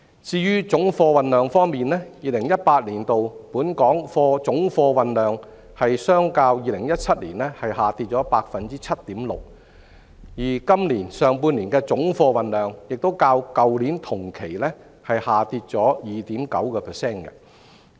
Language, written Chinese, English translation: Cantonese, 至於總貨運量方面 ，2018 年本港總貨運量較2017年下跌 7.6%， 而今年上半年的總貨運量亦較去年同期累跌 2.9%。, In terms of total freight volume Hong Kongs total freight volume fell 7.6 % in 2018 as compared to 2017 and dropped an accumulated 2.9 % in the first half of this year against the same period last year